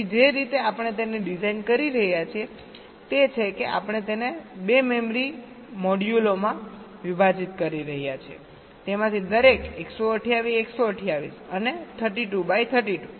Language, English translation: Gujarati, so the way we are designing it is that we are dividing that into two memory modules, each of them of size one twenty eight by thirty two and one twenty eight by thirty two